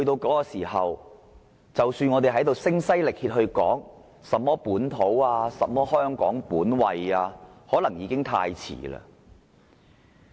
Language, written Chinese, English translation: Cantonese, 屆時，即使我們在此聲嘶力竭，說甚麼本土和香港本位，可能已經太遲了。, By that time no matter how we shout ourselves hoarse about Hong Kongs distinctive features it will be too late